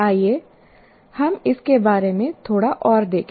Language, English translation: Hindi, Let us look at a little more of this